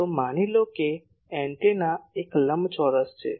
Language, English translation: Gujarati, So, suppose an antenna is a rectangle